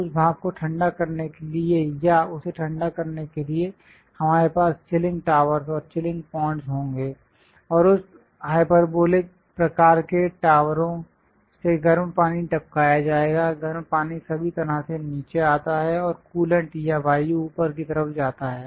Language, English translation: Hindi, To condense that steam or to cool that, we will have chilling towers and chilling ponds; and hot water will be dripped from these hyperbolic kind of towers, the hot water comes down all the way and coolant or air goes all the way up